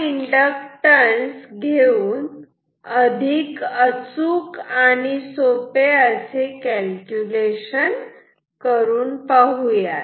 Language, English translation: Marathi, So, let us do a more precise calculation which is also simple